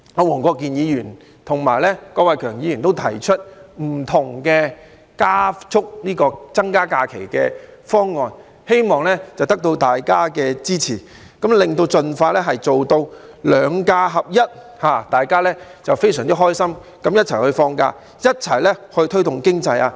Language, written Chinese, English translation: Cantonese, 黃國健議員和郭偉强議員提出了步伐不同的增加假期方案，希望得到大家的支持，盡快做到"兩假合一"，讓大家非常開心的一起放假，一起推動經濟。, Mr WONG Kwok - kin and Mr KWOK Wai - keung have proposed different options of increasing additional holidays at different paces hoping to secure Members support and achieve the alignment of the two types of holidays as soon as possible . This will enable all members of the public to enjoy the holidays happily together and join hands in boosting the economy